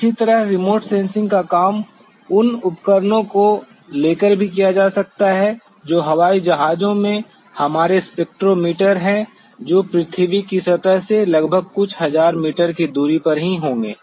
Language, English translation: Hindi, Similarly, the remote sensing work can also be carried out by taking the instruments which are our spectrometers in aircrafts which will be only within about a few thousand meters from the surface of the earth